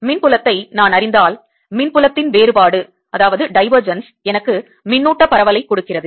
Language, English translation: Tamil, if i know the electric field, then divergence of electric field gives me the charge distribution